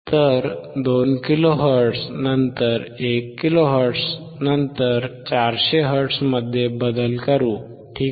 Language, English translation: Marathi, So, let us change to 2 kilo hertz, 1 kilo hertz, 1 kilo hertz, 400 hertz, ok